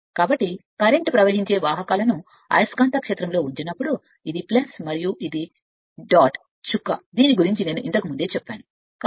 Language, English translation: Telugu, So, that means, when conductors are placed carrying current and placed in the magnetic field this is your that is the plus and this is the dot I told you how it is right